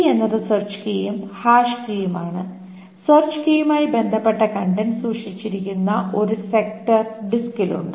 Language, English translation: Malayalam, The key is the search key and the hash key this is a sector or in the disk, sector in disk where the contents corresponding to the search key are stored